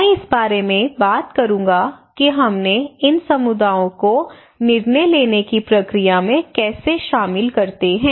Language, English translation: Hindi, I will talk about that how we involved these communities into this decision making process